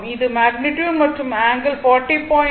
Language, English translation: Tamil, This is the magnitude, and it is angle is 40